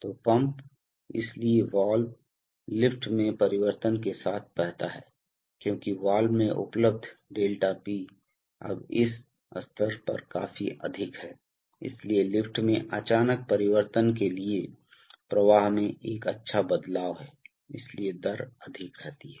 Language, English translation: Hindi, So the pump, so the valve flow with change in lift because 𝛿P Available across the valve is now quite high at this stage, so the, so there is a, for a sudden change in lift there is a good change in the flow, so the rate remains high